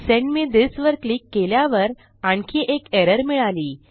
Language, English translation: Marathi, Click on Send me this and we face another error